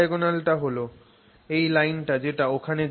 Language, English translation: Bengali, The body diagonal is this line here which goes there